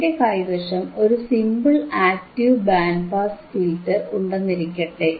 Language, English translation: Malayalam, So, what if I have a simple active band pass filter